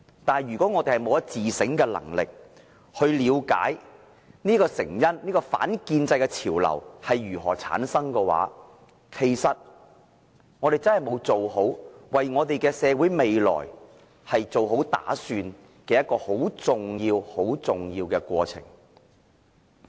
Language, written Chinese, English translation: Cantonese, 但是，如果我們沒有自省的能力，沒法了解這些成因，沒法了解反建制的潮流如何產生，我們便真的是沒有為社會未來做好打算，認清這個十分重要的過程。, However if we are unable to examine our shortcomings or if we fail to understand these causes or fail to understand how these anti - establishment trends have come into being then we are not making plans for our societys future by identifying such a key process